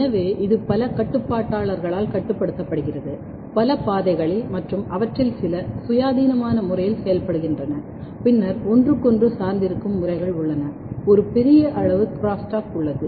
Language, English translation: Tamil, Therefore, it is regulated by multi multiple regulators, multiple pathways and, but these pathways some of them are working in independent manner and then there are interdependent manner, they are there is a huge amount of crosstalk